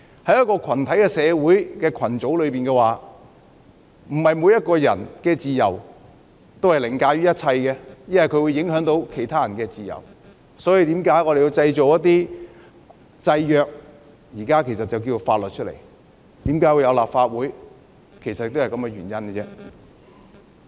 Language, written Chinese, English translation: Cantonese, 在群體社會的各個群組中，個人的自由並非凌駕一切，因為會影響其他人的自由，所以我們需要訂立制約，也就是現在的法律，這也是為何要有立法會的原因。, In all communities that made up society the freedom of an individual is not above everything because the freedom of other people will be affected . This is why we need to put in place controls which are the laws nowadays . This is also the reason why we need the Legislative Council